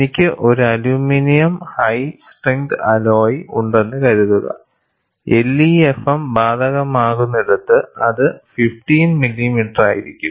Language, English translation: Malayalam, Suppose, I have an aluminium high strength alloy, it would be around 15 millimeter, where LEFM is applicable